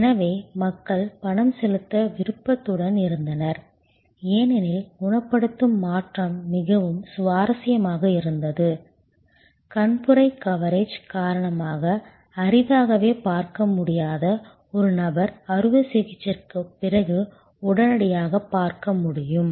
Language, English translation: Tamil, So, people were willingly to pay, because the curative transformation was very impressive, a person who could hardly see because of the cataract coverage could see almost immediately after the operation